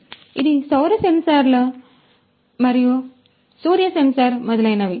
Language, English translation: Telugu, So, this is the solar sensors a sun sensor and so on